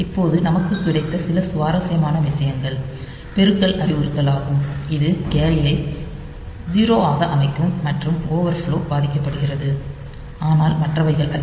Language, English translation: Tamil, Now, some of the interesting things that we have got is multiply instruction that will set the carry to 0 and the overflow is affected, but not the other one